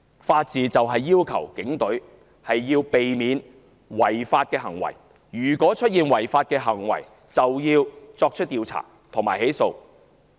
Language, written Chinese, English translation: Cantonese, 法治要求警隊必須避免違法行為。如果出現違法行為，就要作出調查及起訴。, The rule of law requires that unlawful conduct of police officers must be prevented and if occurring be investigated and prosecuted